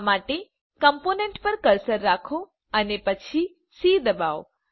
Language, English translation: Gujarati, For this, keep the cursor on the component and then press c